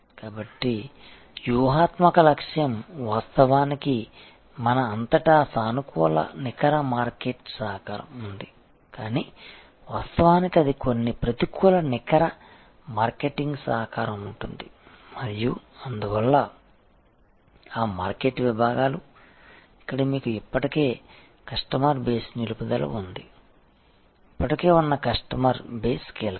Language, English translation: Telugu, So, strategic objective is of course, all across we have positive net market contribution, but in reality that is the there will be some negative net marketing contribution and therefore, those market segments, where you have existing customer base retention of that existing customer base crucial